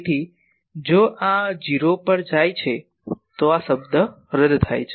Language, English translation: Gujarati, So, if this goes to 0, this term cancels